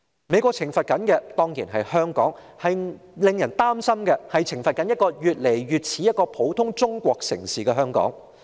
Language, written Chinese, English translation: Cantonese, 美國懲罰的當然是香港，但令人擔心的是，美國是否在懲罰一個越來越像普通中國城市的香港。, It is clear that the United States is punishing Hong Kong . Yet we worry that the United States may be punishing Hong Kong as it considers Hong Kong looks increasingly like an ordinary city of China